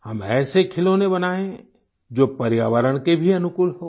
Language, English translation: Hindi, Let us make toys which are favourable to the environment too